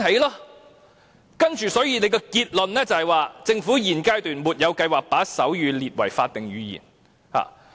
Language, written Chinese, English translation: Cantonese, 最後政府的結論是"政府現階段沒有計劃把手語列為法定語言。, Finally the conclusion of the Government is The Government currently has no plan to designate sign language as an official language